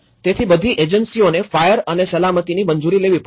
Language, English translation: Gujarati, So, all these agencies has to approve, fire and safety right